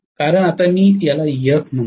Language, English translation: Marathi, Because now i am calling it Ef throughout